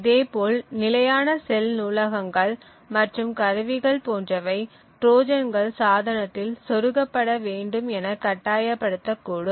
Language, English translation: Tamil, Similarly, tools and libraries like standard cells may force Trojans to be inserted into the device